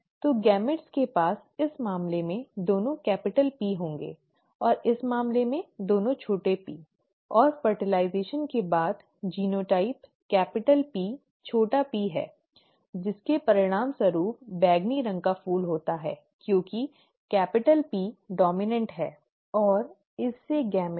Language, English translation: Hindi, So the gametes would have both capital P, in this case, and both small ps in this case; and upon fertilization, the genotype is capital P small p, which are, which results in a purple flower because capital P is dominant, right